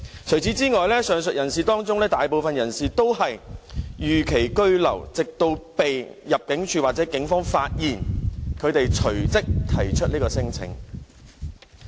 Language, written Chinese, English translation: Cantonese, 除此之外，上述人士當中，大部分都是逾期居留，直到被入境處或警方發現，他們才隨即提出免遣返聲請。, Moreover a majority of the people mentioned above are over - stayers who proceeded to lodge non - refoulement claims only when they were found by the Immigration Department or the Police